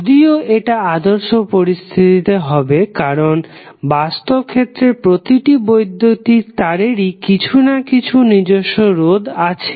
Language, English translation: Bengali, So, that is basically the ideal condition, because in practical scenario all electrical wires have their own resistance